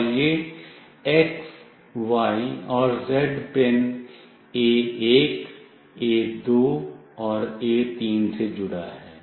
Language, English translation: Hindi, And this x, y, and z is connected to pin A1, A2, and A3